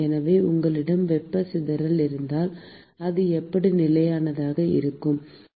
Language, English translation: Tamil, So, the question is if you have dissipation of heat, how will it be constant